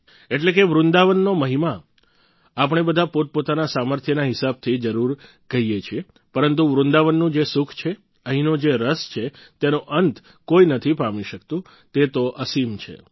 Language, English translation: Gujarati, Meaning, We all refer to the glory of Vrindavan, according to our own capabilities…but the inner joy of Vrindavan, its inherent spirit…nobody can attain it in its entirety…it is infinite